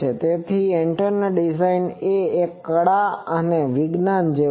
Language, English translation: Gujarati, So, antenna design is something like arts as well as science